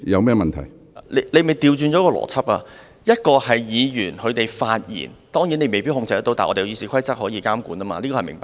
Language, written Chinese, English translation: Cantonese, 主席當然未必可以控制議員的發言，但立法會《議事規則》可以監管，這是明白的。, Admittedly President may not be able to control Members speeches but the Rules of Procedure of the Legislative Council can regulate them . This point is clear